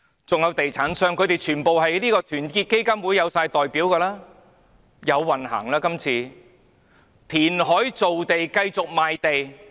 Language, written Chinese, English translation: Cantonese, 還有地產商，他們全部在團結香港基金內有代表，這次有運行了，填海造地，繼續賣地。, They are all represented in the Our Hong Kong Foundation . This time fortune is on their side . Create land by reclamation and continue to sell land